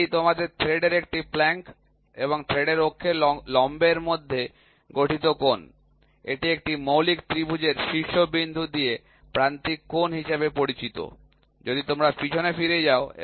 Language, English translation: Bengali, It is the angle formed between a plank of your thread and the perpendicular to the axis of the thread, that passes through the vertex of a fundamental triangle is called as flank angle, if you go back and see alpha is the flank angle